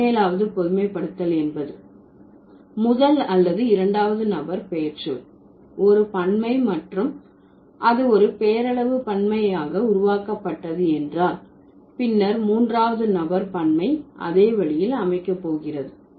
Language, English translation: Tamil, And 17 generation says if there is a plural of first or second person pronoun is formed with a nominal plural, then the plural of third person is also going to be formed in the same way